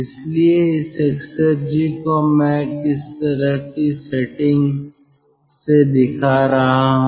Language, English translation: Hindi, so this exergy i am showing by some sort of a setting